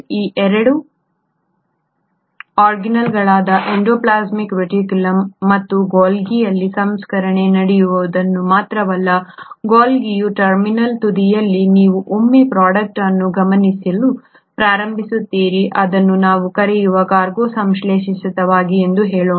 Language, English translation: Kannada, Not only does the processing happen in these 2 organelles, the endoplasmic reticulum and the Golgi, at the terminal end of the Golgi you start observing that once a product, which is what we call as let us say a cargo has been synthesised, now in this case the cargo is nothing but the protein and a processed protein